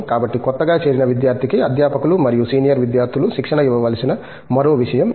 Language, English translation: Telugu, So, that is another thing that has to be trained by the faculty and the senior students to the newly joined student